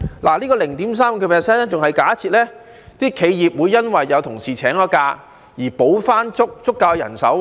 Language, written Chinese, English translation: Cantonese, 這 0.35% 更已假設企業會因有同事請假而要補回足夠人手。, This 0.35 % has already taken into account the need for enterprises to hire substitute workers for employees who are on leave